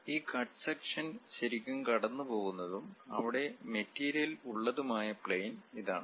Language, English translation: Malayalam, And this is the plane through which this cut section is really passing through and material is present there